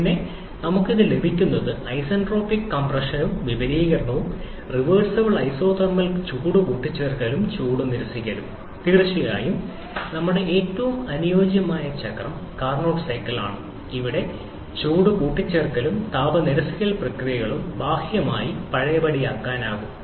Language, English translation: Malayalam, Then, what we get this, isentropic compression and expansion, reversible isothermal heat addition and heat rejection that is of course our most ideal cycle which is the Carnot cycle where the heat addition and heat rejection processes are also externally reversible as you are considering reversible isothermal heat transfer with infinitesimally small temperature difference between system and surrounding